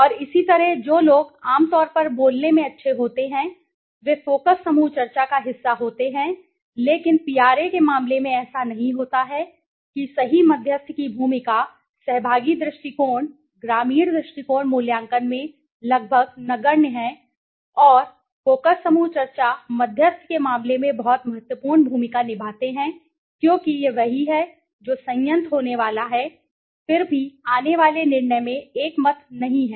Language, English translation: Hindi, And similarly people who are good in speaking generally are part of the focus group discussion but it is not in the case in case of PRA right moderator role is almost negligible in the participatory approach rural approach appraisal and in the case of focus group discussion the moderator play s a very important role because he is the one who is going to moderate, still then unanimous in decision to be arrived okay